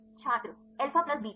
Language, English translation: Hindi, Alpha plus beta